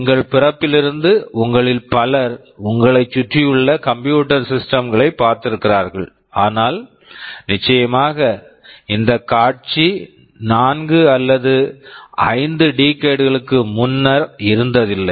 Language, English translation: Tamil, Since our birth many of you have seen computer systems around you, but of course, the scenario was not the same maybe 4 or 5 decades back